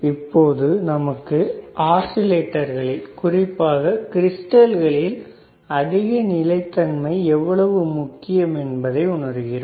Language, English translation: Tamil, So, now you know that frequency stability is very important when we talk about the oscillators, and that particularly crystals